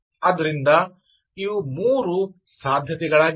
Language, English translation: Kannada, so these are three possibilities